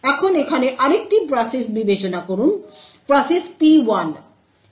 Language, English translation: Bengali, Now consider another process over here process P1